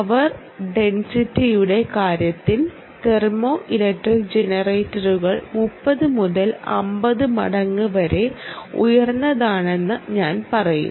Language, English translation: Malayalam, well, in terms of power density, i would say ah, thermoelectric generators are even thirty to fifty times higher